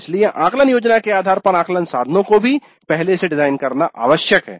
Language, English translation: Hindi, So it is necessary to design the assessment instruments also upfront based on the assessment plan